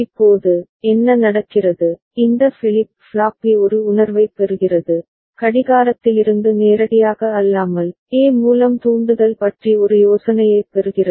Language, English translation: Tamil, Now, what happens, this flip flop B is getting a feel, getting an idea about the triggering through A, not directly from the clock